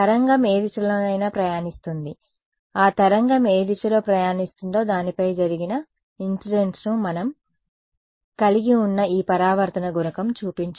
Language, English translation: Telugu, The wave is travelling in any direction no the wave is travelling is incident on it in any direction that is what we showed this reflection coefficient that we had